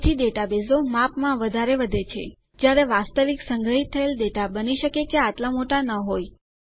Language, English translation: Gujarati, So this is why the database grows bigger in size, although the actual data stored may not be that big